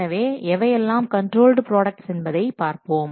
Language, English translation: Tamil, So let's see what are controlled work products